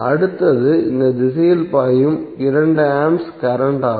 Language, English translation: Tamil, Next is 2A current which is flowing in this direction